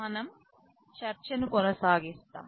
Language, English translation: Telugu, We continue with our discussion